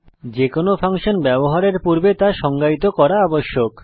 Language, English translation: Bengali, Before using any function, it must be defined